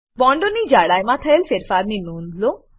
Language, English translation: Gujarati, Note the change in the thickness of the bonds